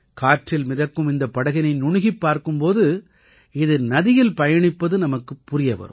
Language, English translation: Tamil, When we look closely at this boat floating in the air, we come to know that it is moving on the river water